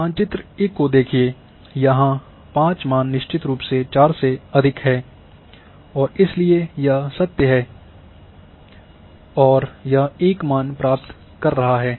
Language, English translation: Hindi, See map A here the 5 value is definitely greater than 4 and therefore it is true and it is getting value 0